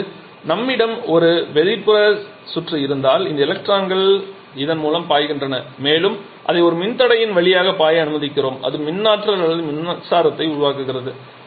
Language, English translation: Tamil, And now if this if we have an external circuitry then this transpose to this we allow it to flow through a resister then that produces electrical electricity or electrical current